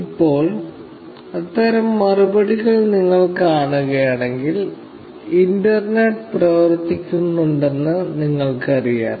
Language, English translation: Malayalam, Now, if you see such replies, you know that, the internet is working